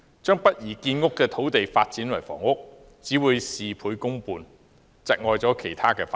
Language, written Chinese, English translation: Cantonese, 將不宜建屋的土地發展為房屋，只會事倍功半，窒礙其他發展。, Housing development on land sites unfit for such purpose just means half of the result with double efforts while hindering other developments